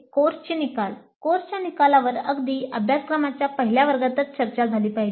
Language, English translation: Marathi, Course outcomes were discussed upfront right in the very first class of the course